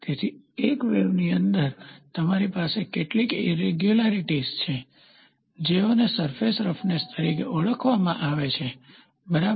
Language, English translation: Gujarati, So, within a wave you have some irregularities those things are called as surface roughness, ok